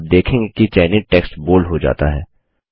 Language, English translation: Hindi, You see that the selected text becomes bold